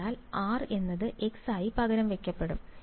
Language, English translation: Malayalam, So, r will get substituted as x by